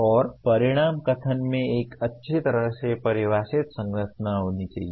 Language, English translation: Hindi, And the outcome statement should have a well defined structure